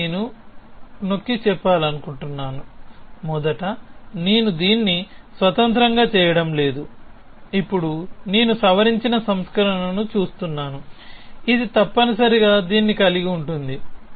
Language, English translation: Telugu, Again I would like to emphasis, I am not doing it independently first I am now looking at a modified version, which will have this built into it essentially